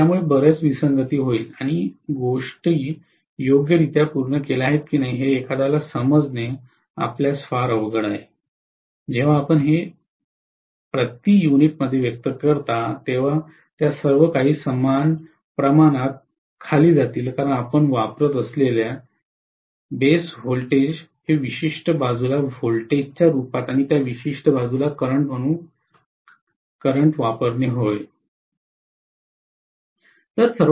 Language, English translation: Marathi, So it will lead to a lot of discrepancy and it may be very, very difficult for you for anybody to understand whether things have be done properly or not, when you express it in per unit all of them will boiled down to same percentage roughly because you are using the base voltage as that particular side voltage and current as that particular side current, that is about it, okay